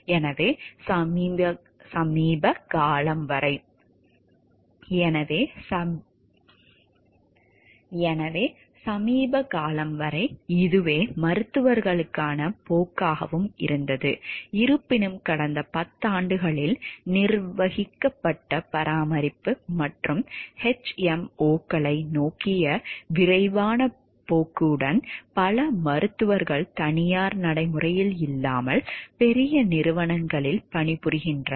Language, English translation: Tamil, So, until recently then this was also the trend for physicians, although with the accelerating trend towards managed care and HMOs in the past decade, many more physicians work for large corporation rather than in private practice